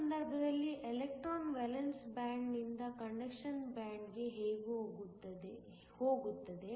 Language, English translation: Kannada, In this case, an electron goes from the valence band to the conduction band